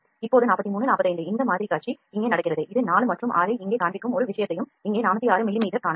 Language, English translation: Tamil, Now, 43 45 this preview is happening here also we can see one thing it was showing 4 and 6 here 406 millimeter